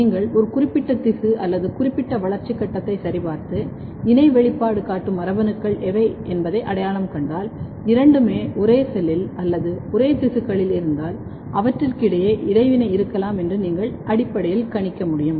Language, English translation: Tamil, So, if you check a particular tissue or particular developmental stage and identify what are the genes which are co expressed, you can basically predict that there might be interaction between them, if both are present in the same cell or in the same tissues